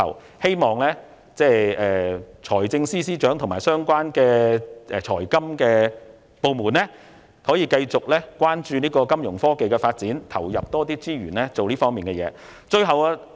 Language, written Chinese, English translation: Cantonese, 我希望財政司司長和相關的財金部門可以繼續關注金融科技的發展，投入更多資源以促進這方面的發展。, I hope that the Financial Secretary and the relevant financial departments and authorities can keep in view the developments in Fintech and put in more resources to promote local Fintech developments